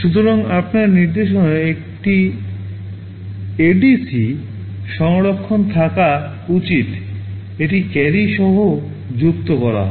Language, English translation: Bengali, So, you should have an ADC version of instruction, this is add with carry